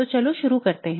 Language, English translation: Hindi, So let's get started